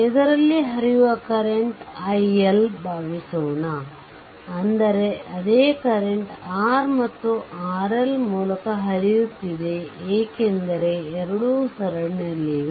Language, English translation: Kannada, Suppose, current through this current to this is i L right; that means, same current is flowing through R and R L because both are in series